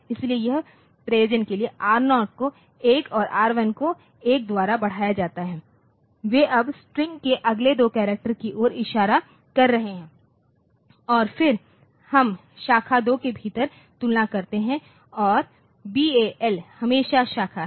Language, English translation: Hindi, So, for that purpose R0 is incremented by one R1 is also incremented by one they are now pointing to the next two characters of the strings and then we again compare within branch 2 plus BAL is branch always